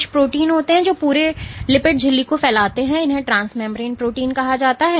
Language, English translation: Hindi, So, there are some proteins which span the entire lipid membrane and these are called transmembrane proteins